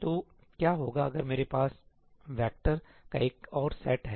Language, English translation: Hindi, So, what happens if I have another set of vectors